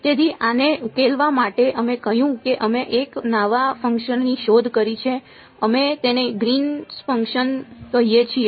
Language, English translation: Gujarati, So, to solve this we said we invented one new function we called it the Green’s function right